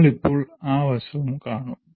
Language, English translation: Malayalam, We will presently see that aspect